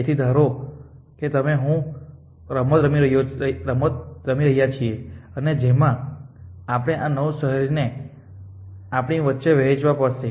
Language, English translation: Gujarati, So, the game is that that say you and I playing this game and we have to divided this 9 cities between us